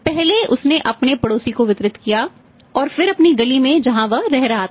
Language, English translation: Hindi, First he distributed to his neighbour then in his own street very closely by